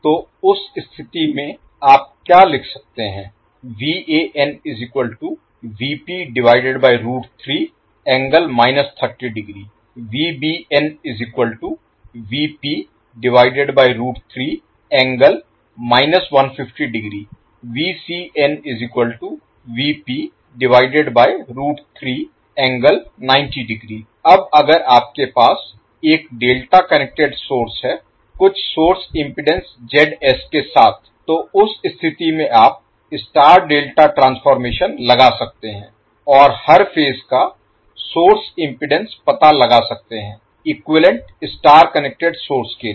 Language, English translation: Hindi, Now incase if you have a delta connected source with some source impedance Zs, in that case you can apply star delta transformation and find out the per phase source impedance for equivalent star connected source